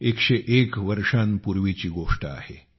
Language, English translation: Marathi, It is a tale of 101 years ago